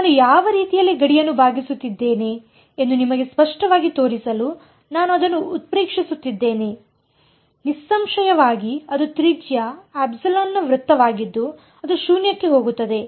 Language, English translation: Kannada, I am exaggerating it to show you very clearly which way I am bending the boundary where; obviously, that is a it is a circle of radius epsilon which will go to 0